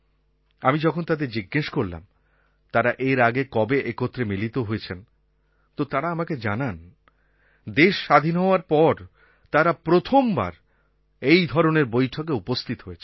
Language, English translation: Bengali, I asked them if they have ever had a meeting before, and they said that since Independence, this was the first time that they were attending a meeting like this